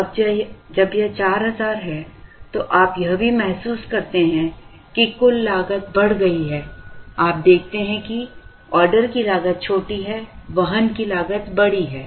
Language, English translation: Hindi, Now, when it is 4000, you also realize that, total cost went up, the order cost is small, the carrying cost is large, so you see there the order cost is small carrying cost is large